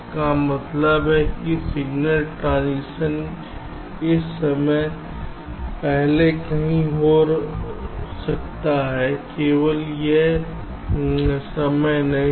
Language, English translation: Hindi, it means that the signal transmission can take place anywhere before this time not exactly at this time, right